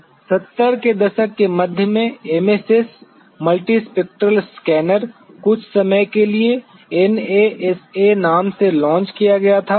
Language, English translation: Hindi, The MSS the multispectral scanner was sometime in the mid 70’s was launched by the name NASA